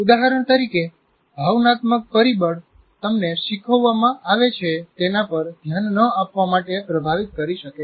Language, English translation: Gujarati, For example, emotional factor can influence you not to pay attention to what is being taught